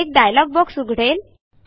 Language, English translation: Marathi, A dialogue box opens